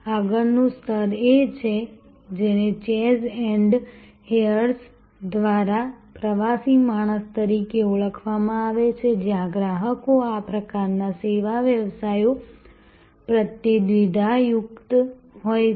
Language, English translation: Gujarati, The next level is what is being called by chase and hayes as journey man, where customers are sort of ambivalent towards this kind of service businesses